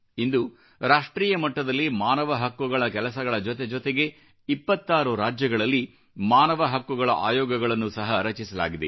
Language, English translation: Kannada, Today, with NHRC operating at the national level, 26 State Human Rights Commissions have also been constituted